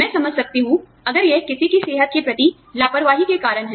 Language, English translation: Hindi, I can understand, if this is due to, negligence of one